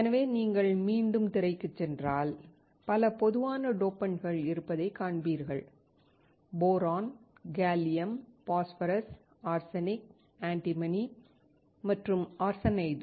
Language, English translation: Tamil, So, if you go back to the screen, you will find that there are several common dopants: Boron, Gallium, Phosphorus, Arsenic, Antimony and Arsenide